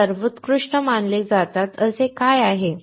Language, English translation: Marathi, What is it there that they are considered best